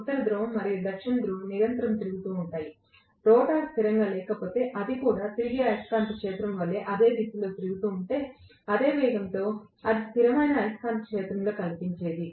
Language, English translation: Telugu, North Pole and South Pole are continuously rotating, if the rotor had not been stationary if that had also rotated in the same direction as that of the revolving magnetic field, in the same speed it would have seen in a constant magnetic field